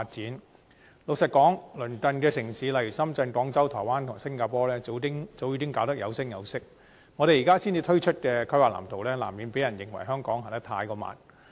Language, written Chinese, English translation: Cantonese, 坦白說，鄰近城市如深圳、廣州、台灣及新加坡，在智慧城市發展方面早已做得有聲有色，我們現時才推出規劃藍圖，難免被人認為香港走得太慢。, Frankly speaking with neighbouring cities such as Shenzhen Guangzhou Taiwan and Singapore already making remarkable progress in smart city development it is hard to escape the impression that Hong Kong―having not even a planning blueprint until now―is too slow in its progress